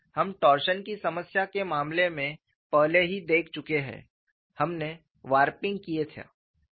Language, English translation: Hindi, In the case of a torsion problem, we had warping